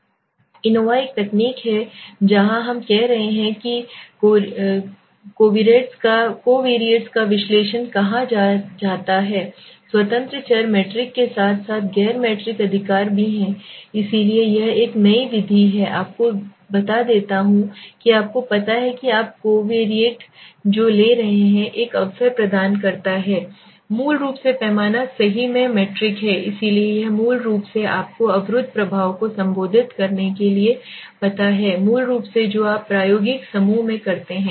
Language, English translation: Hindi, Ancova is a technique where we are saying is called analysis of covariates where the independent variables are metric as well as non metric right so it is one new method in which gives you a which makes you know provides you an opportunity to take the covariates which are basically metric in scale right so this is basically to you know to address the blocking effect basically that you do in the experimental group